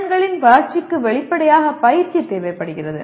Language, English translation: Tamil, And development of the skills requires practice obviously